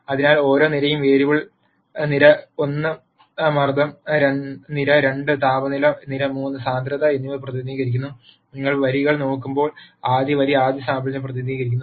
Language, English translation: Malayalam, So, each column represents a variable column 1 pressure, column 2 temperature and column 3 density and when you look at the rows; the first row represents the first sample